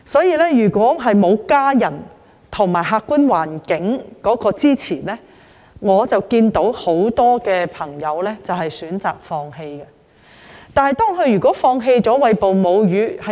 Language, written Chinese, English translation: Cantonese, 因此，如果沒有家人及客觀環境的支持，很多母親均選擇放棄餵哺母乳。, Therefore if without family support and favourable objective conditions many mothers may give up breastfeeding